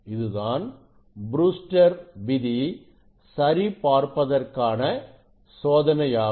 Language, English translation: Tamil, experiment is the verify the Brewster s law; what is Brewster s law